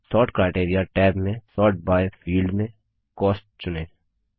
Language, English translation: Hindi, In the Sort criteria tab, select Cost in the Sort by field